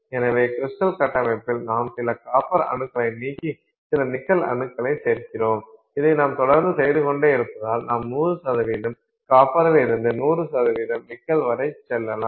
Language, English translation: Tamil, So, in the crystal structure you remove some copper atoms, you put nickel atoms, you keep on doing this, you can go from 100% copper to 100% nickel and they will dissolve in each other completely